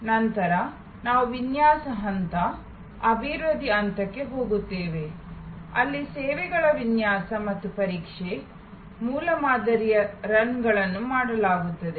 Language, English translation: Kannada, Then, we go to the design phase, the development phase, where services design and tested, prototype runs are made